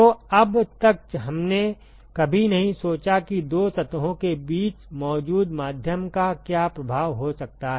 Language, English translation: Hindi, So, far we never considered what is the effect of medium that may be present between the 2 surfaces